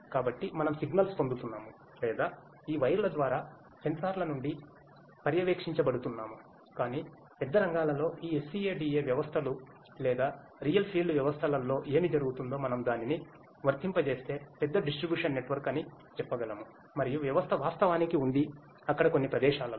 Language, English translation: Telugu, So, we are getting the signals or which are monitored from the sensors through these wires, but what happens in the real fields these SCADA systems or real field systems when we apply it to the let us say larger distribution network and there are system is actually there in place at few places